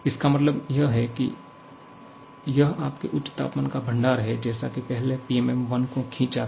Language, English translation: Hindi, Means suppose it is your high temperature reservoir, just how it drawn the PMM1 earlier